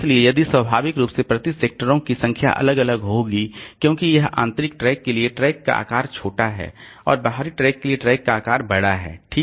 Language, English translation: Hindi, So, if we, so naturally the number of sectors per track will vary because now for this inner tracks, the track size is small and for the outer track the track size is larger, okay